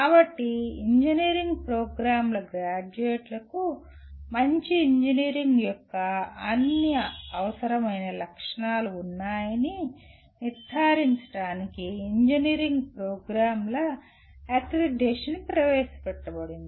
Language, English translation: Telugu, So accreditation of engineering programs was introduced to ensure that graduates of engineering programs have all the requisite characteristics of a good engineer